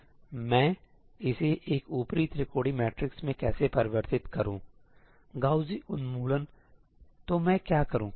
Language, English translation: Hindi, Okay, so, how do I convert this into an upper triangular matrix – Gaussian elimination; so, what do I do